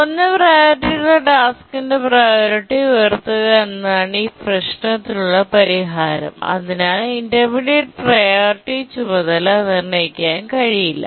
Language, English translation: Malayalam, So the solution here is to raise the priority of the low priority tasks so that the intermediate priority task cannot preempt it